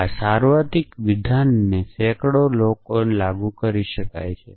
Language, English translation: Gujarati, So, this universally statement could be applied to 100s of people